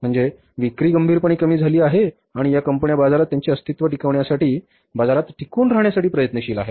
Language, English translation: Marathi, Means the sales are seriously declined and these companies are striving for their sustenance in the market for their existence in the market